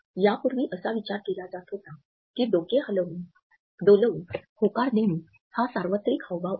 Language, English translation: Marathi, Earlier it was thought that nodding a head is a universal gesture of agreement